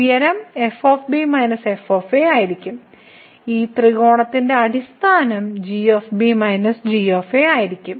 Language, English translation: Malayalam, The height will be minus and this the base of this triangle will be minus